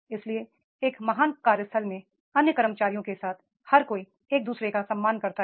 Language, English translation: Hindi, So, relationship with the other employees at the great workplace, everybody respect others